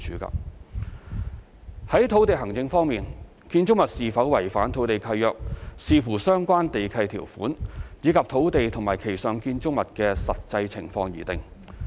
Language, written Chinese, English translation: Cantonese, 在土地行政方面，建築物是否違反土地契約，視乎相關地契條款，以及土地及其上建築物的實際情況而定。, Regarding land administration whether a building is in violation of the land lease depends on the terms of the land lease and the actual conditions of the land and the building thereon